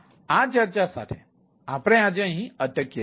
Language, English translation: Gujarati, so with this discussion, we we stop today and ah we will